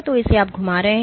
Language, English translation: Hindi, So, this one you are rotating